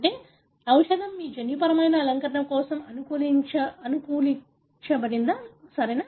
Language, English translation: Telugu, That is, the medicine is customized for your genetic makeup, right